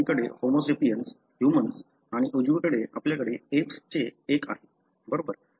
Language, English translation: Marathi, On the left is the Homo sapiens, the human and the right you have one from apes, right